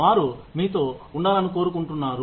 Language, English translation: Telugu, They want to stay with you